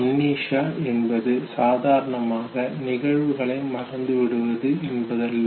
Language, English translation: Tamil, Amnesia of course know, is not the normal sequence of forgetting of events